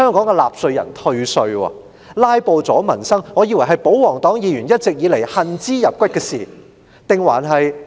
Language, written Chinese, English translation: Cantonese, 我一直以為"拉布"阻民生是保皇黨議員一直恨之入骨的事，是我誤會了嗎？, I always thought filibuster which brought harm to the livelihood was thoroughly loathed by the royalists―or have I got it wrong?